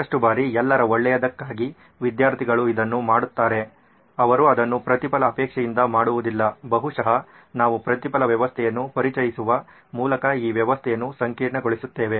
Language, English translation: Kannada, Lots of times student do it for general good, they do not do it because they need a reward, maybe we’re complicating this system by introducing the reward system